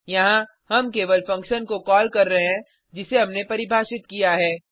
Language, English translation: Hindi, Here, we are just calling a function, which we have defined